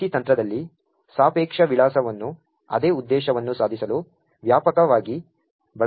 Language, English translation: Kannada, In the PIC technique, relative addressing is extensively used to achieve the same purpose